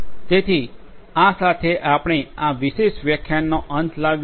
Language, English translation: Gujarati, So, with this we come to an end of this particular lecture